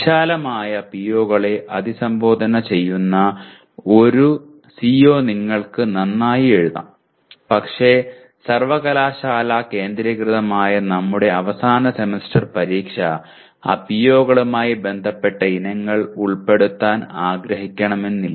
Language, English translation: Malayalam, You may write a CO very well addressing a wide range of POs but then our End Semester Examination which is centrally controlled by the university may not want to, may not include items related to those POs